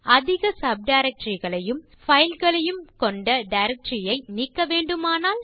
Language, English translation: Tamil, What if we want to delete a directory that has a number of files and subdirectories inside